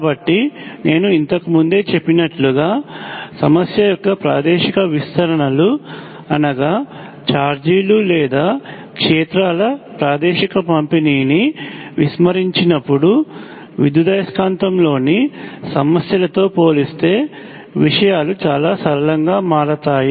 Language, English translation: Telugu, So, like I said earlier, if you ignore the spatial extends of the problem spatial distribution of charges or fields things become immensely simple compared to problems in electromagnetic